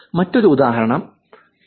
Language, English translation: Malayalam, Here is another example also